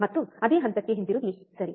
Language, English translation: Kannada, And coming back to the same point, right